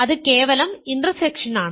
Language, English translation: Malayalam, That is simply the intersection